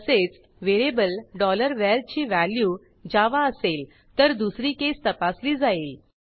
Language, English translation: Marathi, Similarly, if variable $var has value Java , then second case will be checked